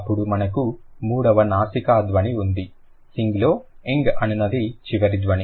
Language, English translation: Telugu, Then we have the third nasal sound, that's the final, final sound of sing